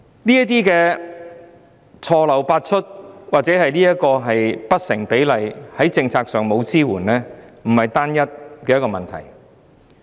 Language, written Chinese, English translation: Cantonese, 這些錯漏百出、不成比例、在政策上沒有支援的情況，並非單一問題。, Numerous errors disproportionate planning and lack of policy support are not isolated issues